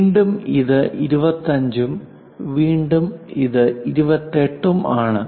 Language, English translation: Malayalam, Again, this one is 25 and again this one 28